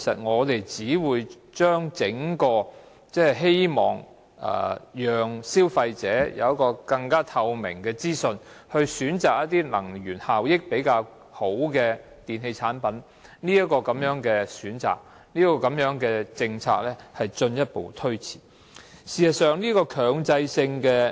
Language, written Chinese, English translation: Cantonese, 我們希望能讓消費者掌握更加透明的資訊，去選擇一些能源效益較佳的電器產品，如果此刻還要中止強制性標籤計劃，便會進一步推遲實施這項政策。, We hope that consumers can be provided with more transparent information so that they can choose electrical appliances with better energy efficiency performances . If the introduction of MEELS is adjourned now it will further delay the implementation of the policy